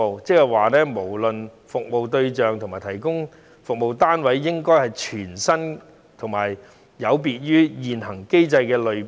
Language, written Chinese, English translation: Cantonese, 換句話說，不論服務對象或提供服務的單位，也應該是全新及有別於現行機制的類別。, In other words no matter in terms of service targets or service providing units they should be brand new and different from the categories of the existing mechanism